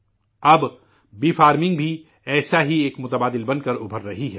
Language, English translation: Urdu, Now bee farming is emerging as a similar alternative